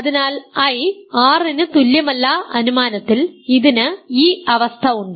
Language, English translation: Malayalam, So, I is not equal to R by assumption and it has this condition ok